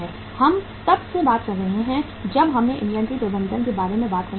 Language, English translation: Hindi, We have been talking since we started talking about the inventory management